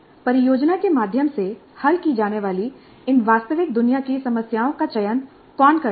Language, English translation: Hindi, And there is another issue who selects these real world problems to be solved through the project